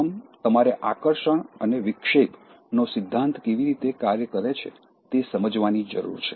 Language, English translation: Gujarati, First, you need to understand the attraction, distraction, principle, how it works